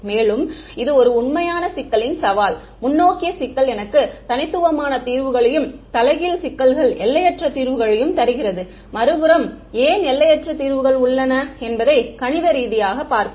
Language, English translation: Tamil, And, this is a real challenge of this problem, the forward problem gives me unique solutions and the inverse problem on the other hand has infinite solutions and we will see mathematically why there are infinite solutions